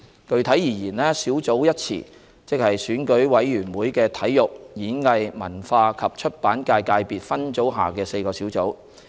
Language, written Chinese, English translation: Cantonese, 具體而言，"小組"一詞即選舉委員會的體育、演藝、文化及出版界界別分組下的4個小組。, 569C . Specifically the term sub - subsector refers to the four sub - subsectors under the Election Committee subsector of Sports Performing Arts Culture and Publication